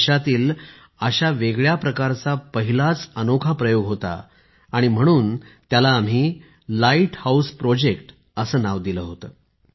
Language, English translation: Marathi, This is a unique attempt of its kind in the country; hence we gave it the name Light House Projects